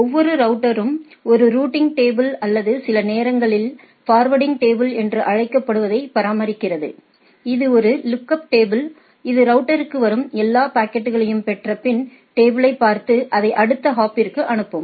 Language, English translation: Tamil, So, and also we know that every router maintains a routing table or sometimes called forwarding tables which is sort of a lookup table, by which any packet receive coming to that router look at that table and then get forwarded to the next hop